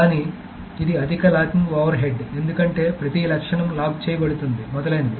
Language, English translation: Telugu, , but it's a high locking overhead because every attribute is being locked, etc